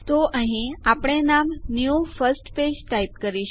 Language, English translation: Gujarati, So here ,we will type the name as new first page